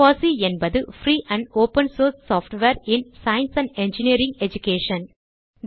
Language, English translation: Tamil, Fossee stands for Free and Open source software in science and engineering education